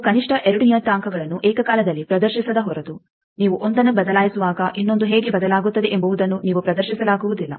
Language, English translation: Kannada, You see unless and until you have simultaneous display of at least two parameters then when you are changing one how the other is changing you cannot display